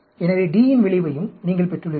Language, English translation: Tamil, So, you get that, got the effect of D also